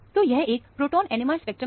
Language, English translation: Hindi, So, this is the proton NMR spectrum